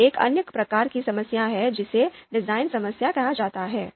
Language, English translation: Hindi, Then there is another type of problem called design problem